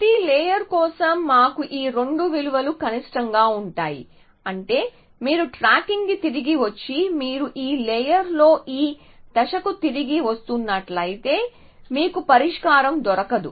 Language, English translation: Telugu, For every layer, we have f min these two values, so what is that mean that if you are back tracking and you are coming back to this point in this layer you not found the solution